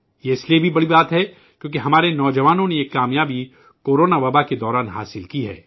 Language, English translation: Urdu, This is also a big thing because our youth have achieved this success in the midst of the corona pandemic